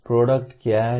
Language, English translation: Hindi, What is the product